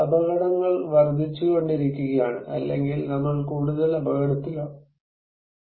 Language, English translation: Malayalam, The dangers are increasing, or we are at more risk